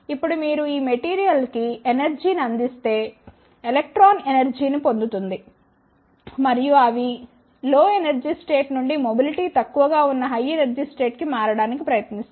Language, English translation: Telugu, Now, if you provide the energy to this material the electron gains the energy and they try to shift from the lower energy state to the higher energy state where the mobility is less